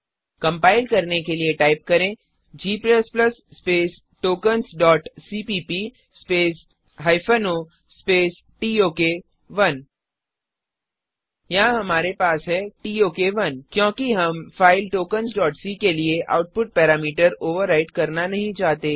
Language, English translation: Hindi, To compile , type g++ space tokens dot cpp space hyphen o space tok 1 Here we have tok1 because we dont want to overwrite the output parameter tok for the file tokens.c Now press Enter To execute.Type ./tok1